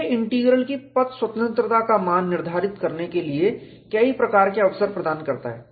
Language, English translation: Hindi, Path independence of the J Integral offers a variety of opportunities for determining its value